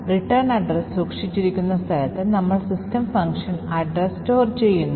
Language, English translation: Malayalam, At the location where the return address is stored, we store the address of the system